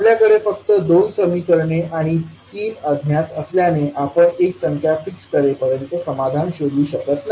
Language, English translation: Marathi, Now as we have only 2 equations and 3 unknowns we cannot find the solution, until unless we fix one quantity